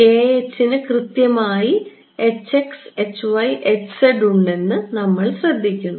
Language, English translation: Malayalam, We notice that k h has exactly the h x, h y, h z terms